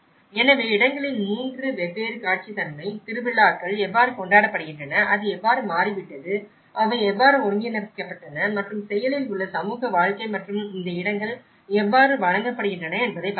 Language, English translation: Tamil, So, that is how you can see the 3 different and visual character of places, how the festivals are celebrated, how it have changed, how they have integrated and the active community life and the bonding how these places are providing